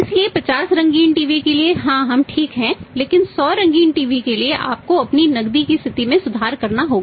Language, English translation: Hindi, Therefore 50 C TV’s yes we are ok but for the 100 colour TV’s you have to improve your liquidity position